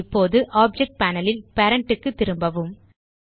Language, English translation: Tamil, Now go back to Parent in the Object Panel